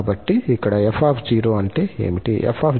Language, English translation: Telugu, So, what is f here